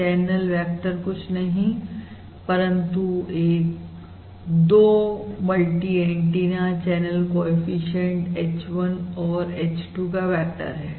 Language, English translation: Hindi, remember, the channel vector is nothing but basically the vector of the 2 multi antenna channel coefficients h, 1, h, 2